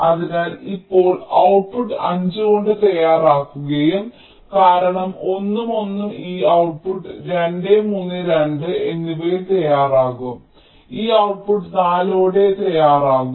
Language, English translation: Malayalam, because one and one, this output will ready by two, three and two, this output will ready by four